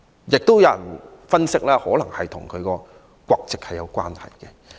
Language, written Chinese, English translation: Cantonese, 亦有人分析這可能與她的國籍有關。, There was a saying that the refusal was probably due to her nationality